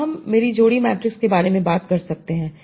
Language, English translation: Hindi, So now I can talk about my pair matrix